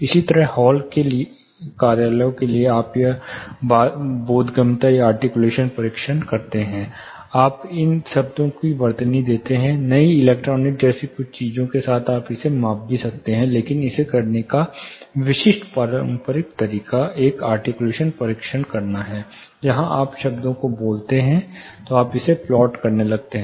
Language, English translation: Hindi, Similarly, for halls for offices you do this intelligibility or articulation tests, you spell these words with, now new electronic certain things you can also measure it, but the typical conventional we have doing it is to do this articulation tests, where you spell the words then you start plotting it